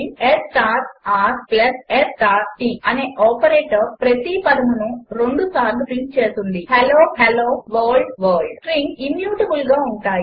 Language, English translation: Telugu, The operation s into r plus s into t will print each of the two words twice Hello Hello World World Strings are immutable